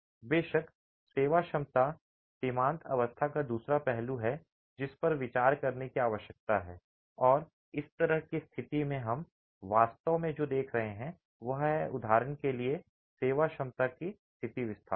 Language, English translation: Hindi, Of course, the serviceability limit state is the other aspect that needs to be considered and in this sort of a situation what we are really looking at at serviceability conditions is displacements for example